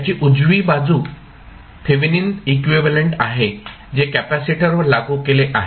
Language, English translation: Marathi, The right side of that is nothing but Thevenin equivalent which is applied across the capacitor